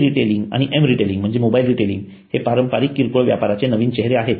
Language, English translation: Marathi, E retailing and M retailing that is mobile retailing are the new phase of traditional retailing